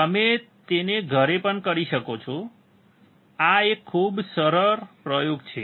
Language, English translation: Gujarati, You can also do it at home, this is very easy experiment